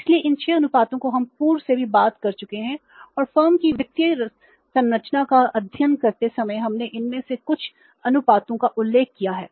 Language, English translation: Hindi, So, these 6 ratios we have been talking in the past also and while studying the financial structure of the firm we have referred to these some of these ratios at that time also